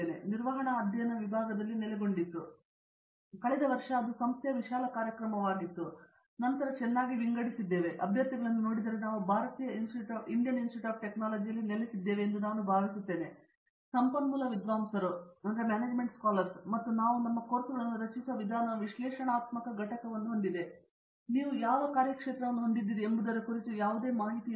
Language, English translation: Kannada, It was housed in the department of management studies, still I think last year it became an institute wide program and this was very well sort after and if you look at the candidates because we are housed in an Indian Institute of Technology, I think most of our resource scholars and the way we structure our courses itself has an analytical component, no matter which functional area you belong to